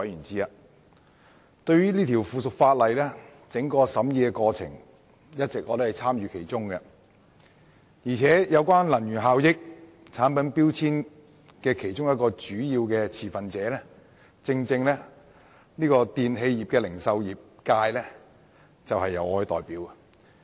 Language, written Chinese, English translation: Cantonese, 這項附屬法例的審議過程，我一直有參與其中，而作為能源效益產品標籤的其中一個主要持份者的電器零售業界，正是由我代表。, Also while the electrical appliance retailing sector is one of the major stakeholders in energy efficiency labelling of products I am the very person who represents it